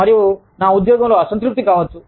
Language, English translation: Telugu, And, i could be feeling, dissatisfied at my job